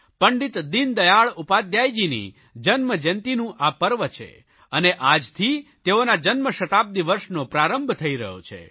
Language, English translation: Gujarati, The centenary year of Pandit Deen Dayal Upadhyay is commencing from today